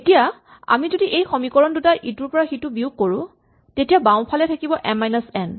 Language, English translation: Assamese, So if we subtract the equations then the left hand side is m minus n